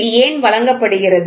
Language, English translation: Tamil, Why is this given